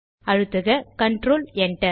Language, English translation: Tamil, Press Control Enter